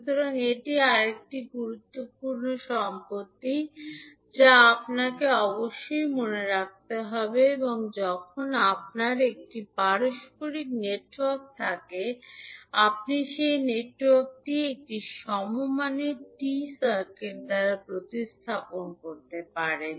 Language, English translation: Bengali, So, this is another important property which you have to keep in mind and when you have a reciprocal network, you can replace that network by an equivalent T circuit